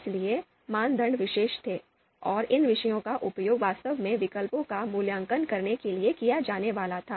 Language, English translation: Hindi, So, the criteria were the subjects, so the subjects that are going to be used to actually evaluate these alternatives